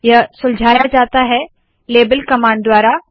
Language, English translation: Hindi, This is solved by the label command